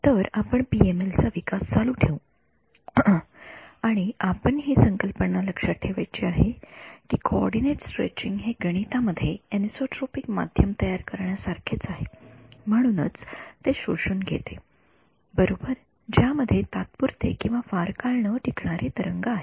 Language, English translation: Marathi, So, we continue with our development of the PML, and the concept that we have to keep in mind is that coordinate stretching is mathematically the same as generating a anisotropic medium therefore, it absorbs right it has evanescent waves ok